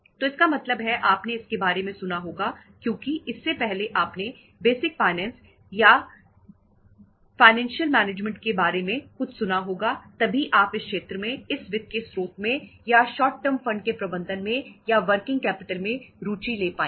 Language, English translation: Hindi, So it means you must have heard about because this course you must have heard about something about the basic finance or the financial management earlier then you would be able to have interest in this particular area in this source of finance or in the management of short term funds or the working capital